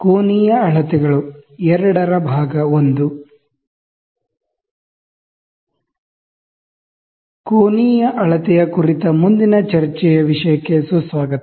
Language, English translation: Kannada, Welcome to the next topic of discussion which is on Angular Measurement